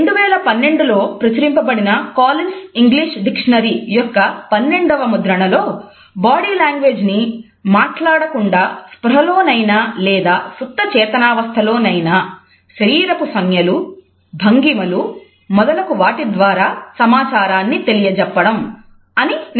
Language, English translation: Telugu, The Twelfth Edition of Collins English Dictionary, which was published in 2012 has defined it as the “nonverbal imparting of information by means of conscious or subconscious bodily gestures and postures etc”